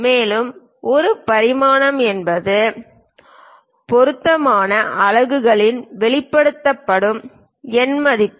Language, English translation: Tamil, And, a dimension is a numerical value expressed in appropriate units